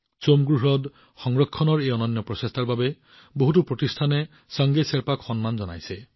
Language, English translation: Assamese, Sange Sherpa has also been honored by many organizations for this unique effort to conserve Tsomgo Somgo lake